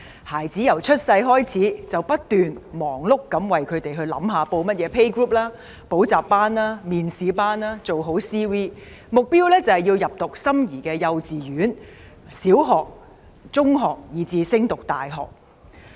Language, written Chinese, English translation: Cantonese, 孩子出生後，家長便忙碌不斷地為子女報讀學前幼兒遊戲小組、補習班、面試班，做好 CV， 目標是入讀心儀的幼稚園、小學、中學，以至升讀大學。, After a child is born the parents will be busy enrolling the child in pre - school playgroups tuition classes and interview preparation classes; and preparing curricula vitae CV so that the child will be admitted to the kindergarten the primary school the secondary school and even the university they like